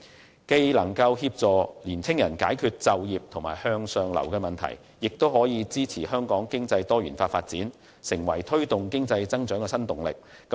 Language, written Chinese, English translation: Cantonese, 這不但有助解決年青人就業和向上流的問題，亦可支持香港經濟作多元化發展，成為推動經濟增長的新動力。, This will not only be conducive to addressing youth problems of employment and upward social mobility but will also support the diversified development of Hong Kongs economy and provide new impetus for economic growth